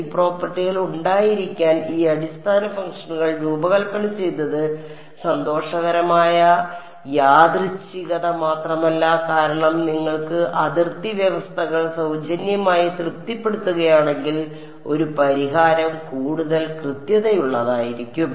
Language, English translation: Malayalam, It is not just to happy coincidence that it happened the design these basis functions to have these properties because, if you are getting boundary conditions being satisfied for free a solution is bound to be more accurate ok